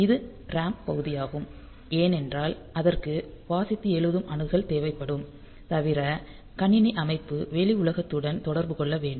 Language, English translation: Tamil, So, that is the RAM part because that will require read write access and apart from that since the system computer system needs to interact with the outside world